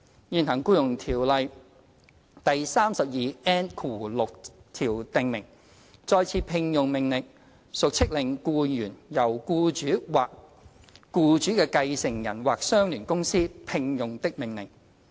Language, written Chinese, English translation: Cantonese, 現行《僱傭條例》第 32N6 條訂明，"再次聘用的命令屬飭令僱員由僱主或該僱主的繼承人或相聯公司"聘用的命令。, The existing section 32N6 of the Ordinance provides that an order for re - engagement is an order that the employee shall be engaged by the employer or by a successor of the employer or by an associated company